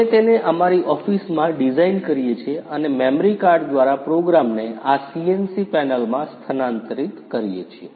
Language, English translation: Gujarati, We design it in our office and transfer the program to this CNC panel through the memory card